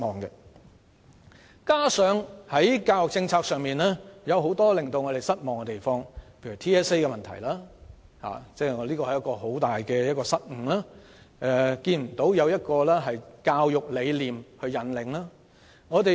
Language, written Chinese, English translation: Cantonese, 此外，在教育政策上亦有很多令我們失望之處，例如 TSA 的問題，屬一大失誤，缺乏教育理念引領。, Moreover there are also a number of things that are disappointing about the education policy such as TSA which is a major failure in the absence of any guidance by a philosophy on education